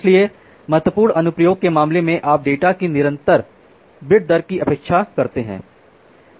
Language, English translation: Hindi, So, in case of severe application you expect the data at a constant bit rate